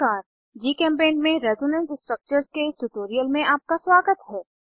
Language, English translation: Hindi, Welcome to this tutorial on Resonance Structures in GChemPaint